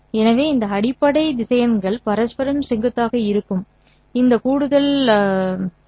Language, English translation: Tamil, So, this additional property that the basis vectors are mutually perpendicular